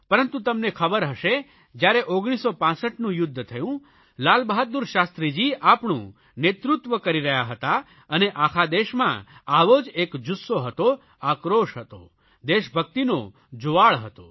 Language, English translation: Gujarati, But, you must be aware that during the 1965war, Lal bahadur Shastri Ji was leading us and then also similar feelings of rage, anger and patriotic fervour were sweeping the nation